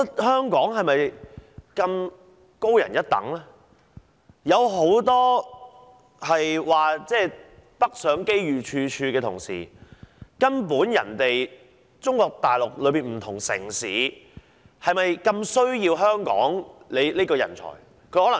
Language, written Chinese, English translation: Cantonese, 很多人指北上發展機遇處處的同時，中國大陸的不同城市是否如此渴求香港人才呢？, Many people have argued that if people go northwards to the Mainland they may find opportunities everywhere . But then are the various cities in Mainland China really so thirsty for Hong Kong talents?